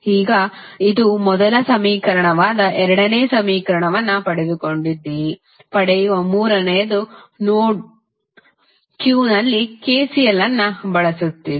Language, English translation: Kannada, Now, you have got the second equation this was your first equation, the third which you will get is using KCL at node Q